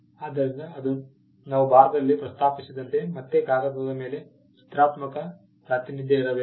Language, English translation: Kannada, So, that is again as we just mentioned in India, there has to be a graphical representation on paper